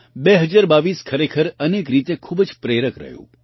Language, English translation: Gujarati, 2022 has indeed been very inspiring, wonderful in many ways